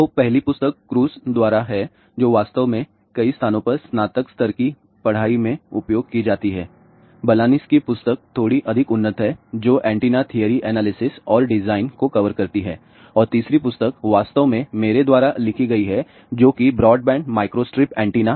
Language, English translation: Hindi, So, the first book is by Kraus which was actually used in many places undergraduate level, ah Balanis book is slightly more advanced which covers antenna theory analysis and design and the third book is actually written by me ah which is Broadband Microstrip Antenna